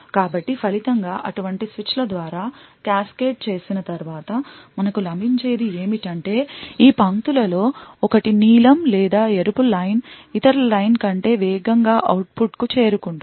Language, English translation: Telugu, So, as a result, after cascading through a number of such switches what we get is that one of these lines either the blue or the Red Line would reach the output faster than the other line